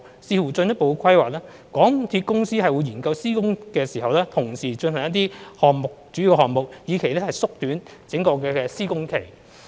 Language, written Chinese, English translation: Cantonese, 視乎進一步規劃，香港鐵路有限公司會研究施工時同時進行一些主要項目，以期縮短整個施工期。, Subject to further planning the MTR Corporation Limited MTRCL will study the taking forward of some major items concurrently during construction works with a view to shortening the entire works period